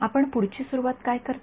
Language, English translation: Marathi, What do you do next start